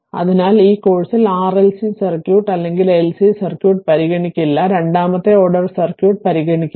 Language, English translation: Malayalam, So, in this course we will not consider RLC circuit or LC circuit; that is second order circuit we will not consider